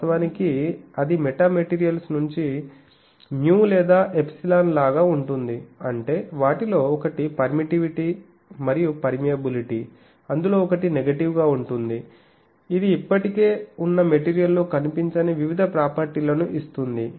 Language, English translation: Telugu, Actually for metamaterials out of mu or epsilon; that means, the permittivity and permeability one of them is negative that gives us various properties which are not found in existing material